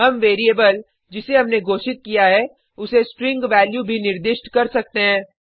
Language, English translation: Hindi, We can also assign a string value to the variable we declared